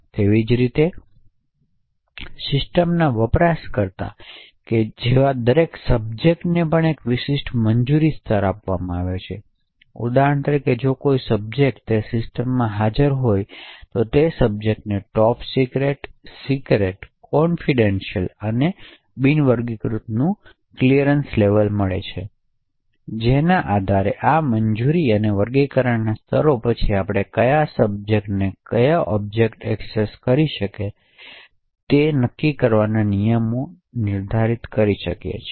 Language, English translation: Gujarati, Similarly every subject like a user of that system is also given a particular clearance level, so for an example if a subject X is present in that system, that subject get a clearance level of top secret, secret, confidential or unclassified, based on this clearance and classification levels we can then define rules to decide which subject can access which object